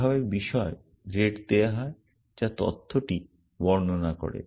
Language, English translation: Bengali, This is the way the matter rate as given as to which describes the data